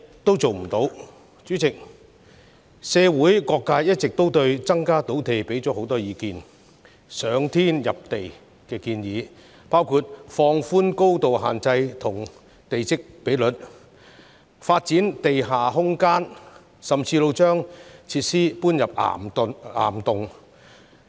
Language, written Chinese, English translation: Cantonese, 代理主席，社會各界一直就增加土地供應提供很多意見，包括"上天下地"的建議，例如放寬高度限制及地積比率、發展地下空間，甚或把設施遷入岩洞。, Deputy President regarding how to increase land supply there have long been diverse views and all - inclusive proposals in the community including relaxing the height restriction and plot ratio developing underground space and relocating facilities to caverns